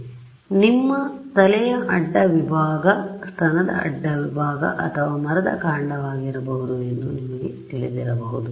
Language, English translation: Kannada, This could be you know cross section of your head, cross section of breast or could be a tree trunk could be anything